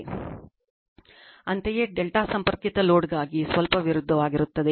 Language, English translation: Kannada, Similarly, for a delta connected load, just opposite